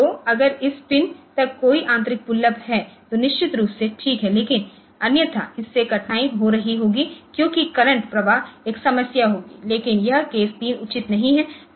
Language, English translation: Hindi, So, if there is an internal pull up to this pig then of course, there is fine, but otherwise this will be having difficulty because the current flow will be a problem, but this case 3 is not advisable